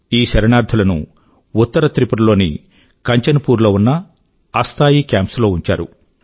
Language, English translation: Telugu, These refugees were kept in temporary camps in Kanchanpur in North Tripura